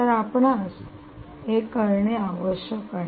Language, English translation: Marathi, so essentially, what you have to do, you this